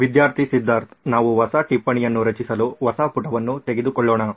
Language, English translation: Kannada, Student Siddhartha: We are creating a new note taking page sir